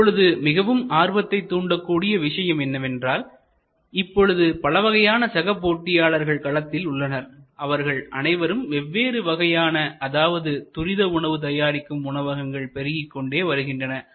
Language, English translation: Tamil, Now, the interesting thing is there are so many new types of competitors, which are now coming up, you know the fast food chain of different types, restaurants are proliferating